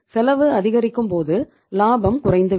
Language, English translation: Tamil, When the cost is increasing ultimately the profit will go down